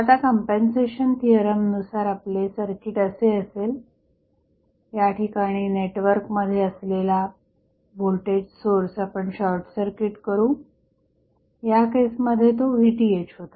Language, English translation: Marathi, So, now, as per compensation theorem our circuit would be like this, where we are short circuiting the voltage source which is there in the network in this case it was Vth